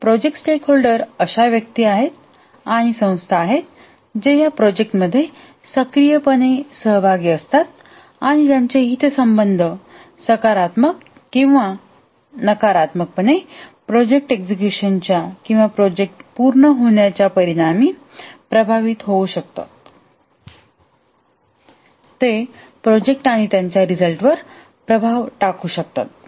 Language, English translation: Marathi, The project stakeholders are individuals and organizations that are actively involved in the project and whose interests may be positively or negatively affected as a result of the project execution or project completion